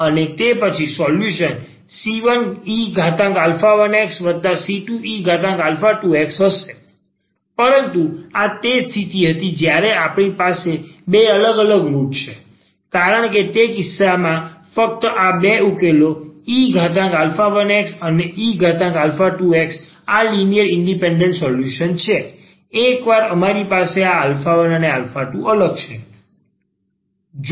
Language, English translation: Gujarati, And then, the solution will be c 1 e power alpha 1 x plus c 2 e power alpha 2 x, but this was the case when we have two distinct roots because in that case only these two solutions e power alpha 2 x and e power alpha 1 x these are linearly independent solutions, once we have that this alpha 1 and alpha 2 are distinct